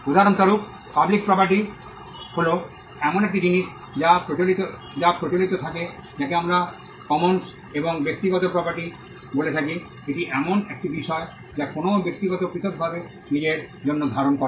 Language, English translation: Bengali, For instance, public property is something which is held in common, what we call the commons and private property is something which a person holds for himself individually